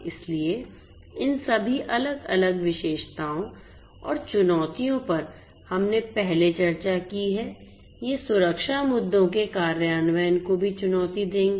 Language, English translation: Hindi, So, all these different features and the challenges that we have discussed previously, these will also make the implementation of security issues a challenge